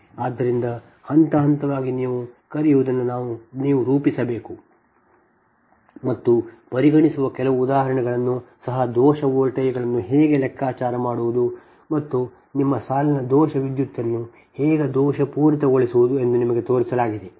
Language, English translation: Kannada, so step by step, your, what you call you have to formulate and couple of examples also that consider has been shown to you that how to compute the fault voltages and fault your line fault current, so and the